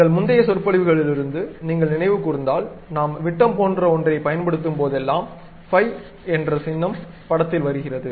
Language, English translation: Tamil, If you recall from our earlier lectures, whenever we use something like diameter, the symbol phi comes into picture